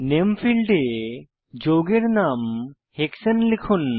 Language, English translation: Bengali, In the Name field, enter the name of the compound as Hexane